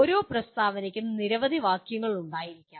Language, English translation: Malayalam, Each statement can have several phrases in that